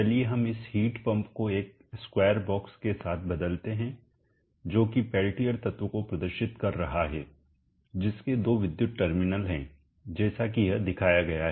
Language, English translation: Hindi, Let us replace this heat pump with a square box assembling the peltier element having two terminals electrical terminals are shown like this